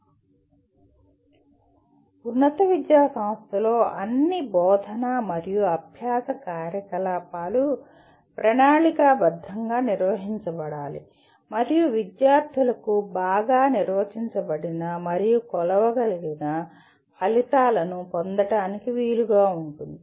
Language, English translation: Telugu, And all teaching and learning activities in higher education institution should be planned and conducted to facilitate the students to attain well defined and measurable outcomes